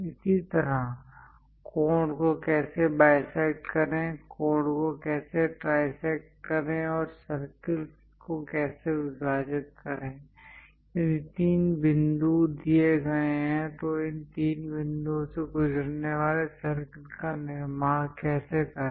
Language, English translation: Hindi, Similarly, how to bisect an angle, how to trisect an angle, how to divide circles, if three points are given how to construct a circle passing through these three points